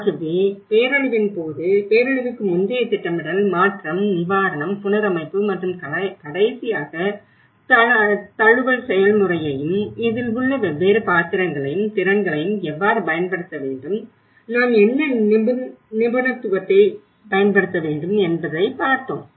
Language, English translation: Tamil, So the pre disaster planning during disaster and the transition relief and the reconstruction and the last how adaptation process you know, that is how we have understood the different roles and the capacities and how to use and when you know, what expertise we should use